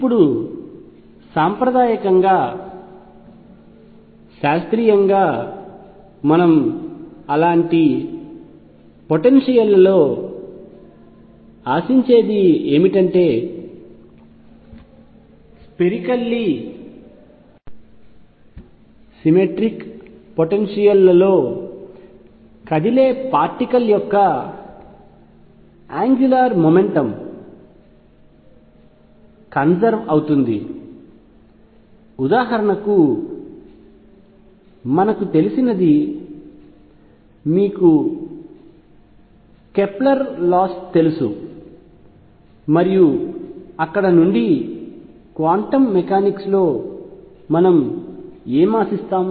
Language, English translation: Telugu, Now classically, classically what we expect in such potentials is that angular momentum of a particle moving in spherically symmetric potentials is conserved this is what we know for example, you know Kepler’s laws and all those things follow from there what do we expect in quantum mechanics